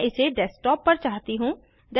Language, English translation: Hindi, I want it on Desktop